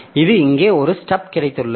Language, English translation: Tamil, So, it also has got a stub here